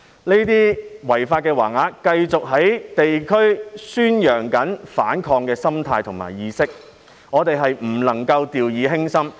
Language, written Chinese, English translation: Cantonese, 這類違法橫額繼續在地區宣揚反抗的心態和意識，我們不能夠掉以輕心。, The fact that this kind of illegal banners continue to promote the mentality and awareness of resistance at district levels should not be taken too lightly